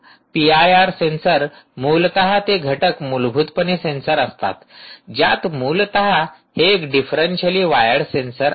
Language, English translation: Marathi, i r sensors essentially are those elements are is basically a sensor which essentially has a its a differentially wi, differentially wired sensor